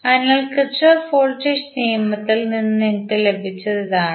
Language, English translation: Malayalam, So, this is what you got from the Kirchhoff Voltage Law